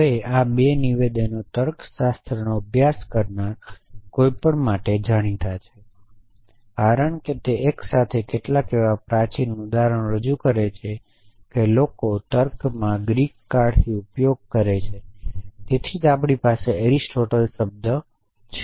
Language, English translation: Gujarati, Now, these 2 statements are well known for anybody who have studied logic, because they together represents some of the oldest examples that people have been using in logic in fact from Greek times that is why we have the term Aristotle